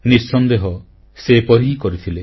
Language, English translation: Odia, Undoubtedly, she did so